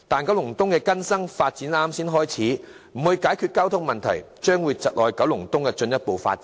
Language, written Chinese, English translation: Cantonese, 九龍東的更新發展才剛剛開始，如不解決交通問題的話，將會窒礙九龍東的進一步發展。, The renewal of Kowloon East has just begun and its further development will be stifled if its traffic problems remain unresolved